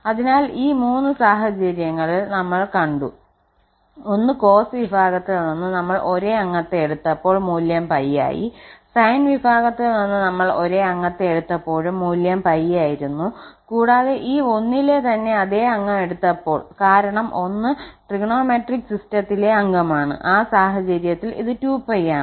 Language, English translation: Malayalam, So, these three situations we have covered, one when we have taken the same member from the cos family, value is pi, the same member from the sine family, again the value is pi, and the same member of this 1 itself, because 1 is also a member of the trigonometric system in that case this is 2 pi